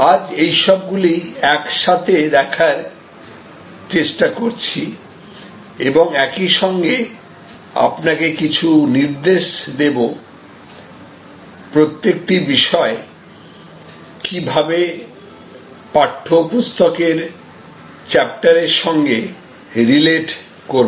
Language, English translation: Bengali, But, today we are trying to put it all together and I also want to at the same time, give you some direction that how each one of these topics relate to chapters in the text book